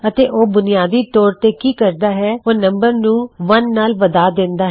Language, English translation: Punjabi, And what it basically does is, it increases num by 1